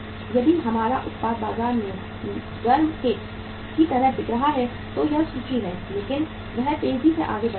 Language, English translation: Hindi, If our product is selling like hot cakes in the market there is a inventory but that is fastly moving